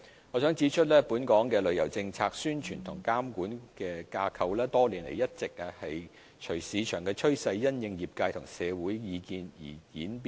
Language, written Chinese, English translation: Cantonese, 我想指出，本港的旅遊政策、宣傳和監管架構多年來一直隨着市場趨勢並因應業界和社會的意見而演變。, I would like to point out that the policies promotion and regulatory framework of tourism in Hong Kong have for many years followed the market trend and developed in response to the views of the industry and the community